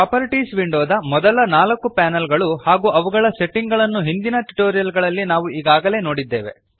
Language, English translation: Kannada, We have already seen the first four panels of the Properties window and their settings in the previous tutorials